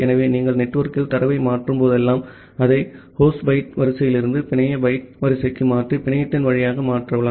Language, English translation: Tamil, So, whenever you are transferring the data over the network, you convert it from the host byte order to the network byte order, transfer it over the network